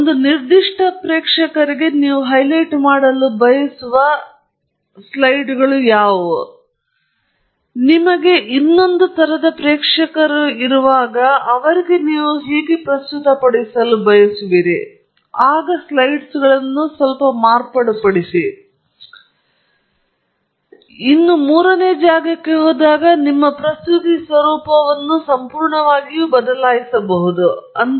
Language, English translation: Kannada, You may highlight specific, you know, may be there are three slides that you want to highlight for one audience, you may add couple more slides when you present it to another audience, you may completely change the format of presentation when you go to a third audience